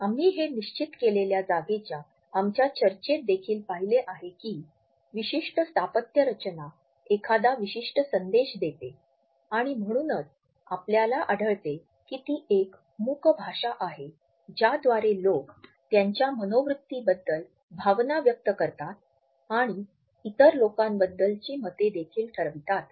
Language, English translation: Marathi, We have seen it in our discussion of the fixed space also that a particular architectural design passes on a particular message and therefore, we find that it is also considered as a silent language through which people put across their attitudes feelings and even judgments about other people